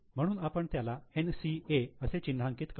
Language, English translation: Marathi, So, we will mark it as NCA